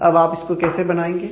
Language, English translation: Hindi, Now, how do you implement this